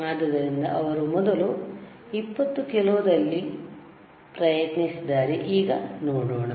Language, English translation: Kannada, So, the first thing he has tried 20 kilo ok, let us see now